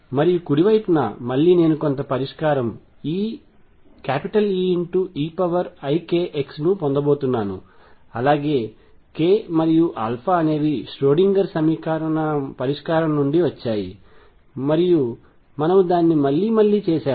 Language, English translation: Telugu, And on the right side, again I am going to have some solution E e raise to i k x k and alpha come from the solution the Schrödinger equation and we have done it again and again